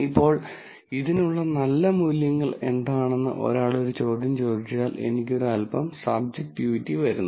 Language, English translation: Malayalam, Now, if one were to ask a question as to, what are good values for this, then that I, where a little bit of subjectivity comes in